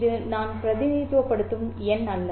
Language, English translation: Tamil, This is not the number that I am representing